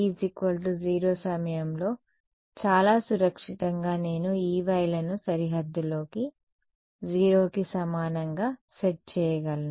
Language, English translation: Telugu, So, at time t is equal to 0 very safely I can set the E ys on the boundary to be equal to 0 right